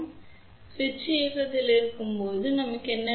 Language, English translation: Tamil, So, when the switch is on what do we want